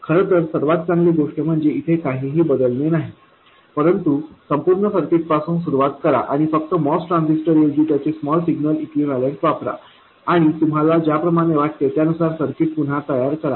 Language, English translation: Marathi, In fact, the best thing is not to change anything but start from the total circuit and replace only the MOS transistor with its small signal equivalent and then redraw the circuit as you wish to do